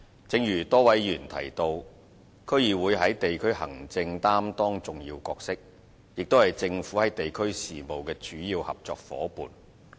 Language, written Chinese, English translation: Cantonese, 正如多位議員提到，區議會在地區行政擔當重要角色，也是政府在地區事務的主要合作夥伴。, As mentioned by a number of Members DCs play an important role in district administration being also a major partner of the Government in district affairs